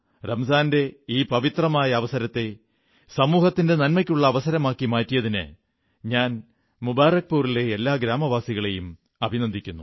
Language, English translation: Malayalam, I felicitate the residents of Mubarakpur, for transforming the pious occasion of Ramzan into an opportunity for the welfare of society on